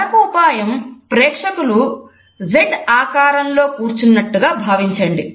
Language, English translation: Telugu, Another trick is to think of the audience as sitting in a Z formation